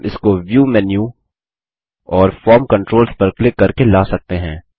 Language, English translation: Hindi, We can bring it up by using the View menu and clicking on the Form Controls